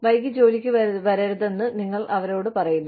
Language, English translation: Malayalam, You tell them, not to come to work, late